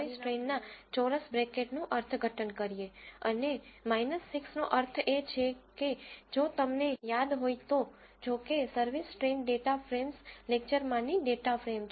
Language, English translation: Gujarati, Meanwhile let us interpret the service train a square bracket and minus 6 means this if you remember since service train is a data frame from a data frames lectures